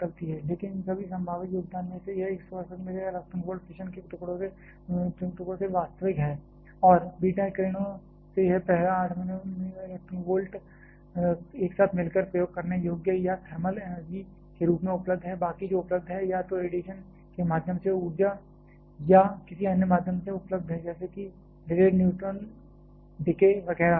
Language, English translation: Hindi, But out of this all this possible contribution actual this 168 MeV from the fission fragments and this first 8 MeV from the beta rays combined together are usable or available as thermal energy rest are available either energy through radiation or via some other means something like delayed neutron decay etcetera